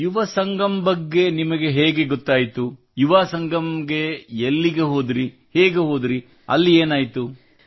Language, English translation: Kannada, Where did you go for the Yuva Sangam, how did you go, what happened